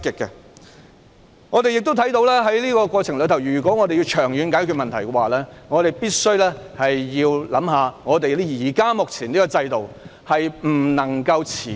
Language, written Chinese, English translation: Cantonese, 在這個過程中，我們看到要長遠解決問題，便必須先考慮目前這個制度，因為這制度不能夠持久。, In this process we can see that in order to resolve the problem in the long term it is necessary to review the existing system as a first step because this system is not sustainable